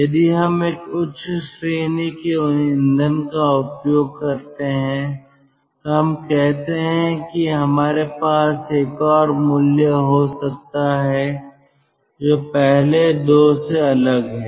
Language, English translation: Hindi, if we use a high grade fuel, ah, lets say oil, we may have another value which is different from the first two